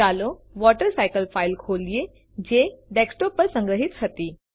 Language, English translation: Gujarati, Let us open the file WaterCycle that was saved on the Desktop